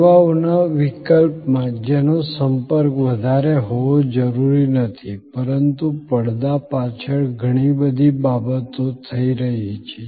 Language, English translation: Gujarati, In case of services which are not necessarily high contact, but a lot of things are happening behind the scene